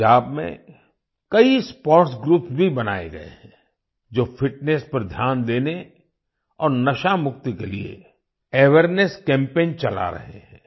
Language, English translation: Hindi, Many sports groups have also been formed in Punjab, which are running awareness campaigns to focus on fitness and get rid of drug addiction